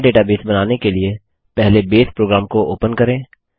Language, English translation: Hindi, To create a new Database, let us first open the Base program